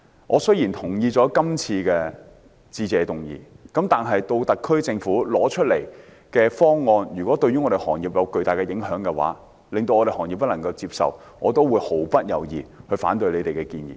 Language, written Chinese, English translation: Cantonese, 我雖然同意今年施政報告的致謝議案，但如果特區政府提出的方案會對行業有巨大影響，令行業不能接受，我也會毫不猶豫地反對政府的建議。, Even though I support the Motion of Thanks on this years Policy Address if the impact of the SAR Governments proposals on the industries is too heavy for them to accept I will not hesitate to oppose the Governments proposals